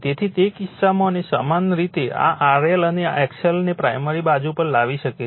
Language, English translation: Gujarati, So, in that case and this R L and X L in similar way you can bring it to the primary side